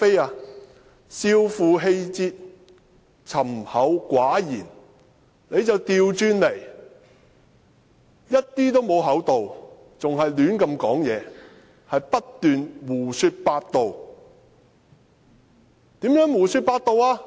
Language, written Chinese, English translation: Cantonese, 是少負氣節，沉厚寡言，他卻相反，完全不厚道，而且更胡亂說話，不斷地胡說八道。, He is not generous at all . He is also a person who speaks mindlessly and keeps talking nonsense